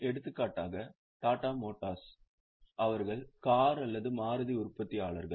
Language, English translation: Tamil, For example, Tata Motors they are manufacturers of car or Maruti